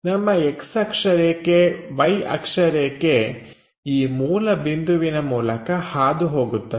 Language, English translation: Kannada, So, our X axis Y axis pass through this point origin